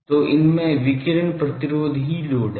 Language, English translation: Hindi, So, radiation resistance is the load in these